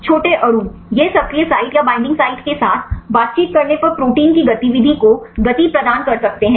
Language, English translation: Hindi, Small molecule, it can trigger the activity of the proteins when they interact with the active site or the binding site